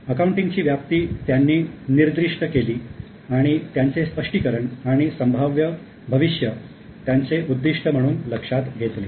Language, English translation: Marathi, Now, he has specified broad scope of accounting and considered the explanation and prediction at its proper objective